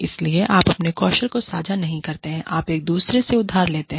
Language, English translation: Hindi, So, you do not share your skills, you borrow from each other